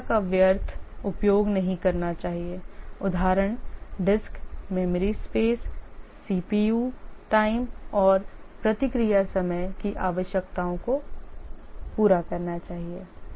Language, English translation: Hindi, Efficiency, it should not make wasteful use of resources, for example, disk, memory space, CPU time and should satisfy the response time requirements